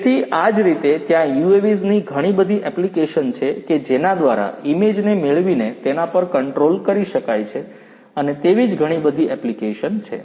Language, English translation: Gujarati, So, like it is there are different applications of UAVs for sensing for acquiring images for control and many others